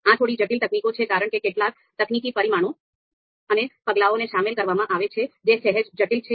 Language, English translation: Gujarati, Slightly complex techniques, several technical parameters and the steps that are involved are slightly complex